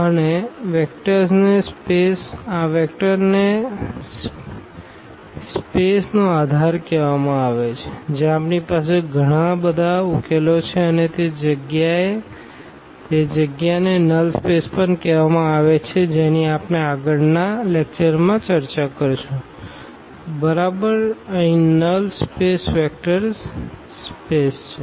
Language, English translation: Gujarati, And, these vectors are called basis of the space where we have so many solutions there and that space is also called the null space which again we will be discussed in the next lecture yeah exactly here the null space is a vector space